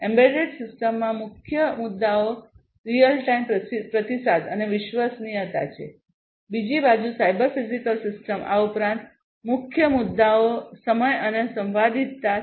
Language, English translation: Gujarati, In an embedded system, the main issues are real time response and reliability, on the other hand in a cyber physical system in an addition to these the main issues are timing and concurrency